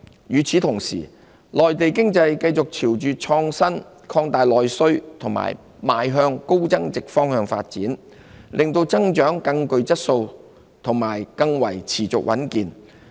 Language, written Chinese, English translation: Cantonese, 與此同時，內地經濟繼續朝着創新、擴大內需和邁向高增值的方向發展，令增長更具質素及更持續穩健。, Meanwhile as the Mainland economy continues to develop in the direction of innovation domestic demand expansion and high added - value economic growth has become sounder and more solidly paced